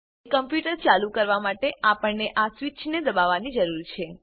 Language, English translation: Gujarati, To turn on the computer, one needs to press this switch